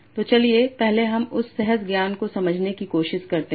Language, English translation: Hindi, So again let us try to understand that intuitively first